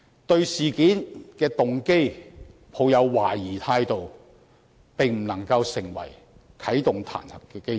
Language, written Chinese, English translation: Cantonese, 對事件的動機抱有懷疑態度，並不可以成為啟動彈劾的基礎。, Being suspicious of the motive of the incident cannot form the basis to initiate the impeachment procedure